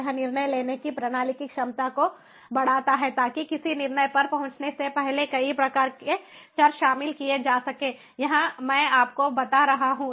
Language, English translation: Hindi, it enhances the ability of the decision making system to include a multitude of variables prior to arriving at a decision